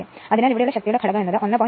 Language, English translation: Malayalam, So, power factor is this 1